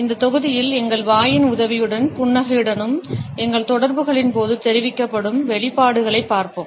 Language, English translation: Tamil, In this module, we would look at the expressions which are communicated during our interactions with the help of our Mouth as well as with the Smiles